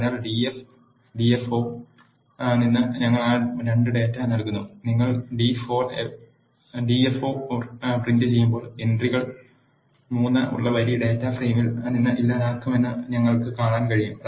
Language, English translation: Malayalam, So, and we are assigning that 2 data from df df4 and when you print the df4 we can see that the row which is having the entry 3 is deleted from the data frame